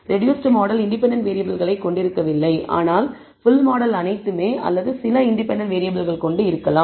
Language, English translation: Tamil, The reduced model contains no independent variables whereas, the full model can contain all or some of the independent variables